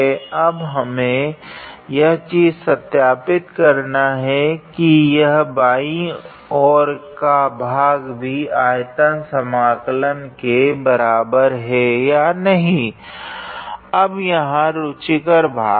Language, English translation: Hindi, Now we have to verify whether the left hand side is also equal to that volume integral or not now here is the interesting part